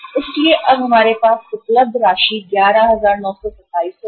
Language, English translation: Hindi, So now the amount available to us will be 11,927 right